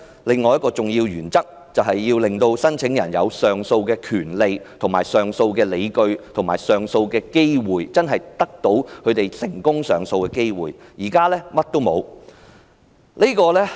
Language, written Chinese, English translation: Cantonese, 另一重要原則，就是要令到申請人有上訴的權利及理據，並且得到成功上訴的機會，但在這件事上，卻是甚麼都沒有。, Another important principle is to ensure that the applicant has the right and justification to appeal and also has a fair chance of success in the appeal . But in this case no reason has been given